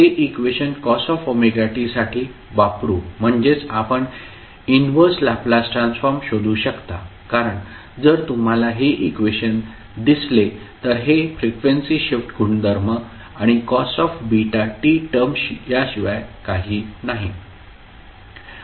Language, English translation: Marathi, So, using that expression for cos omega t that is you can find out the inverse Laplace transform because, if you see this expression, this is nothing but the frequency shift property plus the cos beta t term